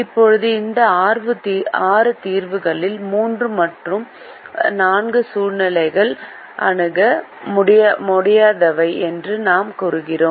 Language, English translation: Tamil, out of these six solutions, we also said that situations three and four are infeasible